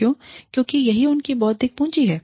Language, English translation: Hindi, Why because, that is their intellectual capital